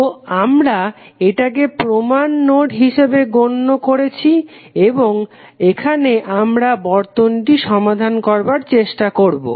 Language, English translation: Bengali, So, we have considered this as a reference node and now we will try to solve the circuit